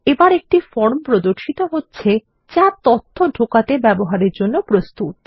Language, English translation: Bengali, This opens the form which is ready for data entry use